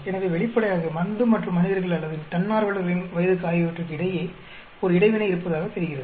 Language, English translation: Tamil, So obviously, there appears to be an interaction between drug and the age of the subjects or age of the volunteers